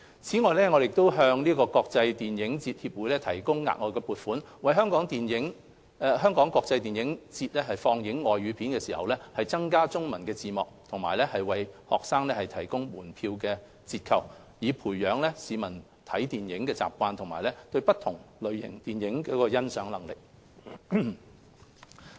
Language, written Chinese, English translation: Cantonese, 此外，我們向國際電影節協會提供額外撥款，為"香港國際電影節"放映的外語電影增加中文字幕和為學生提供門票折扣，培養市民看電影的習慣及對不同類型電影的欣賞能力。, Moreover we have provided additional funding to the Hong Kong International Film Festival Society for adding Chinese subtitles to non - Chinese films screened in the Hong Kong International Film Festival and offering student discount tickets thereby fostering the publics film - watching habit and their ability to appreciate films of different genres